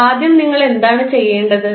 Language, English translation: Malayalam, So, first what you have to do